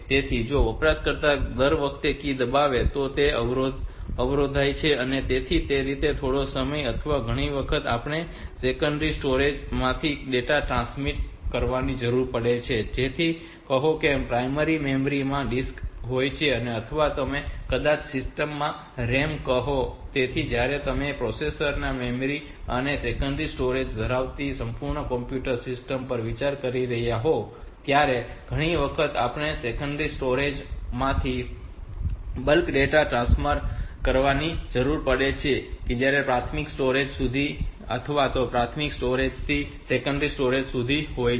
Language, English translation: Gujarati, So, if the every time user presses a key so the it is interrupted so that way it quite some time or many a time we need to transfer data from the secondary storage which is likes say; disk to the primary memory that you which is the ram maybe in the system, so when you are considering a complete computer system that has got processor memory and secondary storage, so many a times we need to transfer the bulk of data from the secondary storage to the primary storage or wise versa from the primary storage to the secondary storage